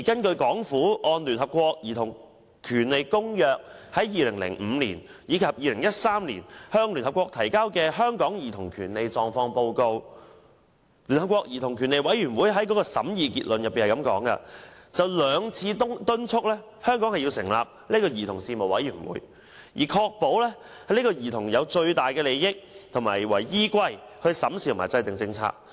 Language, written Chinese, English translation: Cantonese, 對政府按《公約》於2005年及2013年向聯合國提交有關香港兒童權利狀況的報告，聯合國兒童權利委員會在審議結論中就兩次敦促香港成立兒童事務委員會，以確保會以兒童最大利益為依歸審視和制訂政策。, In the Concluding Observations on the reports of Hong Kong on childrens rights under the Convention in 2005 and 2013 the United Nations Committee on the Rights of the Child urged Hong Kong to establish a Commission on Children on both occasions to ensure that policy review and formulation will be made in the best interests of children